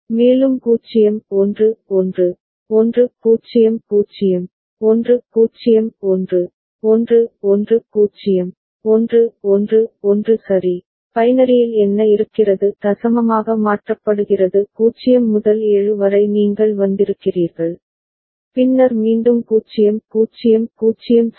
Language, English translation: Tamil, And 0 1 1, 1 0 0, 1 0 1, 1 1 0, 1 1 1 right, what is it in binary 0 to 7 you have come, then again it is 0 0 0 ok